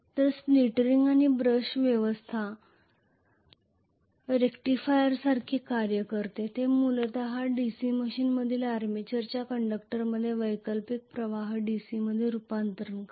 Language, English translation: Marathi, So split ring and brush arrangement works like a rectifier it essentially is converting the alternating current in the conductors of the armature in a DC machine to DC